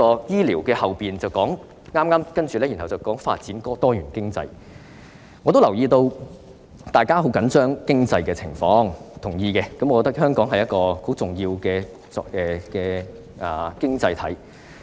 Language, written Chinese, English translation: Cantonese, 醫療部分之後是"發展多元經濟"，我留意到大家很緊張經濟狀況，我同意香港是一個很重要的經濟體。, The part on medical and health care is followed by that titled Developing a Diversified Economy . I am aware that people are very concerned about the economic situation and I agree that Hong Kong is a very important economy